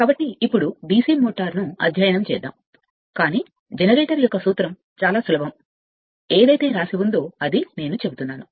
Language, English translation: Telugu, So, now we will study your DC motor, but principle of a generator very simple it is, whatever write up is there it is just I am telling